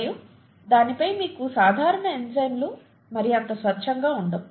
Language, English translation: Telugu, And on top of that you have the regular enzymes not being very pure, okay